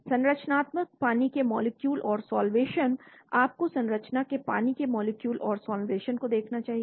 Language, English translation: Hindi, Structural water molecules and solvation, you should look at structure water molecules and salvation